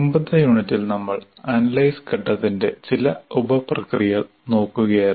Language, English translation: Malayalam, We were looking at, in the earlier unit 5, the various sub processes of analysis phase